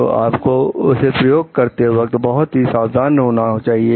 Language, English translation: Hindi, So, you have to be careful while using it